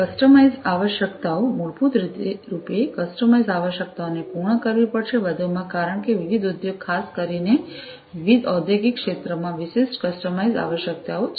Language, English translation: Gujarati, customised requirements, basically customized requirements will have to be fulfilled, in addition, to the because different industry, the particularly different industrial sectors have specific in, you know, customized requirements